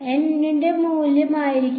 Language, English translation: Malayalam, Value of N will be